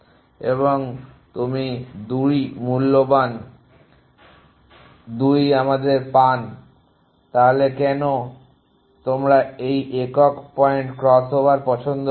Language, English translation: Bengali, And you get 2 valued 2 us so why do you like this single point crossover